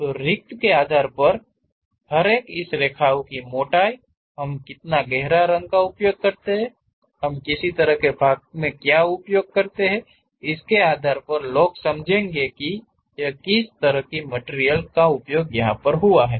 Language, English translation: Hindi, So, each one based on the spacing, the thickness of this lines, how much darken we use, what kind of portions we use; based on that people will understand what kind of material it is